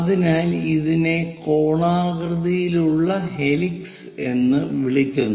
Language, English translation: Malayalam, So, this is what we call conical helix